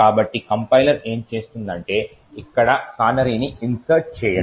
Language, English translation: Telugu, So, essentially what the compiler would do is insert a canary over here